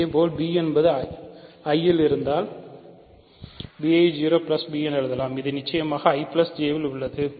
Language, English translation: Tamil, Similarly, if b is in I, b can be written as 0 plus b which is certainly in I plus J